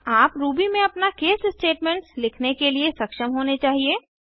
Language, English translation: Hindi, You should now be able to write your own case statements in Ruby